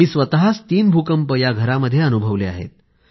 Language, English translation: Marathi, This house has faced three earthquakes